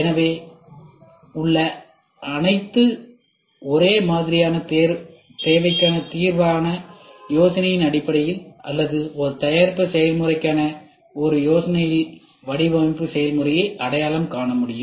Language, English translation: Tamil, The design process can be identified based on the idea for a solution to an existing or identical need or form from an idea for a product process for which it is thought a need can be generated